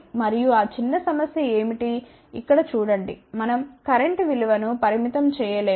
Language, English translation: Telugu, And, what is that small problem see here we are not able to limit the value of the current